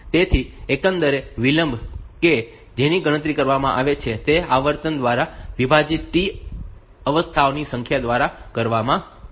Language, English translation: Gujarati, So, the overall delay that is calculated is given by number of T states divided by the frequency